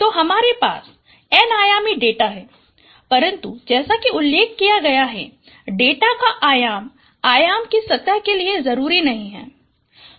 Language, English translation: Hindi, So we had an n dimensional data, but as I mentioned, the dimension of data is not necessarily the dimension of the space